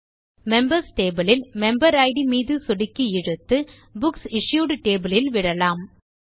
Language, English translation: Tamil, Click on the Member Id in the Members table and drag and drop it in the Books Issued table